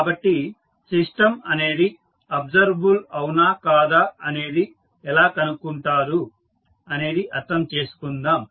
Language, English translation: Telugu, So, let us try to understand how to find out whether the system is observable or not